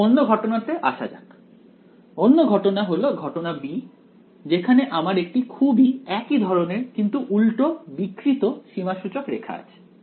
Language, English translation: Bengali, Now let us come to the other case; the other case is case b where I have a very similar, but a oppositely deform contour this is how it is